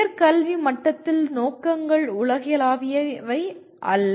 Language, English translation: Tamil, And the at higher education level the aims are not that universal